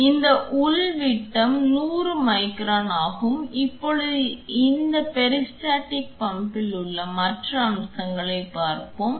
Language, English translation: Tamil, So, this the inner diameter is of 100 micron, now let us check the other features with the offered in this peristaltic pump